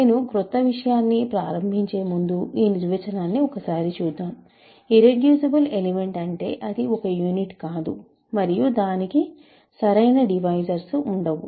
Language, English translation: Telugu, So, if you recall the definition of an irreducible element, it should not be a unit and it should not have proper divisors